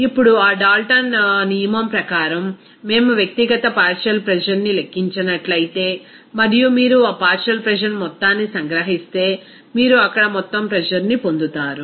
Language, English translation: Telugu, Now, according to that Dalton’s law, if we calculate that individual component pressure that is individual partial pressure and if you sum it up all those partial pressure, then you will get the total pressure there